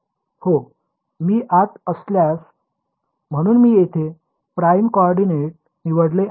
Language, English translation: Marathi, So, here I have chosen the prime coordinate